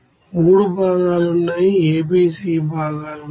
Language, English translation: Telugu, Three components are there, A, B, C components are there